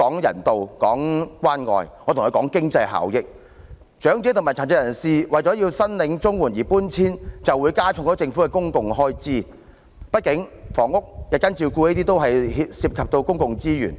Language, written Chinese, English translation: Cantonese, 如果長者和殘疾人士為申領綜援而遷出，便會增加政府的公共開支，畢竟房屋、日間照顧服務等均涉及公共資源。, If elderly persons and persons with disabilities choose to move out to be eligible to apply for CSSA it will increase the public expenditure incurred by the Government for housing and day care services and so on will expend public resources after all